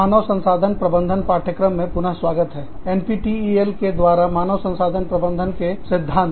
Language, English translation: Hindi, Welcome back, to the course on, Human Resource Management, Principles of Human Resource Management, through NPTEL